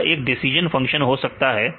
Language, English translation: Hindi, This is can be any decision function right